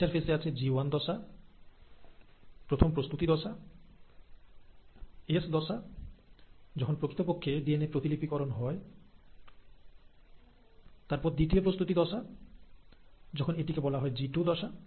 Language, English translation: Bengali, Interphase inturn has the G1 phase, the first preparatory phase, the S phase, when the actual DNA replication happens, and then the second preparatory step, where it is called as the G2 phase